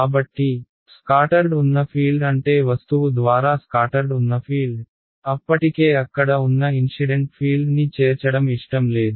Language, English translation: Telugu, So, the word make sense scattered field means the fields scatter by the object, I do not want to include the incident field that was already there